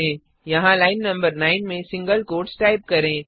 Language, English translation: Hindi, Type single quotes at line no.9 here